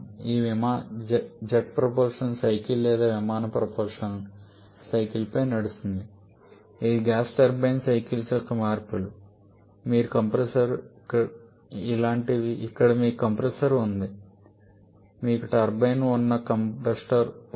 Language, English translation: Telugu, And second options aircraft propulsion the aircraft runs on the jet propulsion cycle or aircraft propulsion cycles which are just modifications of the gas turbine cycles something like this where you have the compressor you have the combustor you have the turbine